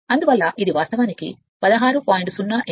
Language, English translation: Telugu, Therefore it is actually 16